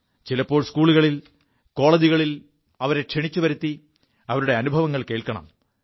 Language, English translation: Malayalam, These people should be invited to schools and colleges to share their experiences